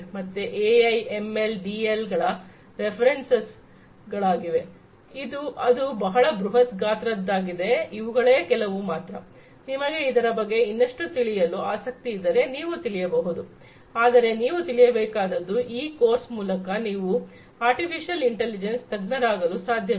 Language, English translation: Kannada, So, you know the references for AI, ML, DL, etcetera its huge these are some of the ones that, if you are interested to know little bit more in depth you could, but mind you that through this course you cannot become an expert of artificial intelligence